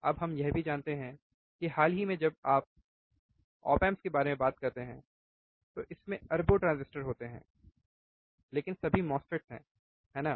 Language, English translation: Hindi, Now we also know that recently when we talk about op amps, it has billions of transistors, but all are MOSFETs, right